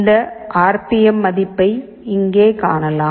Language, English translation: Tamil, You can view this RPM value here